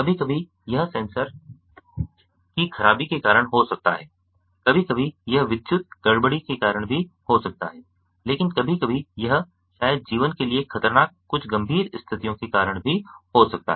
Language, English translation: Hindi, sometimes it may be due to sensor malfunction, sometimes it may be due to electrical disturbance, but sometimes it maybe even due to some serious life threatening situations